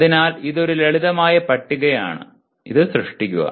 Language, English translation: Malayalam, So it is a simple table, create